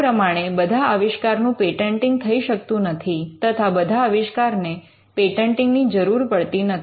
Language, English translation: Gujarati, So, not all inventions are patentable, and not all inventions need patents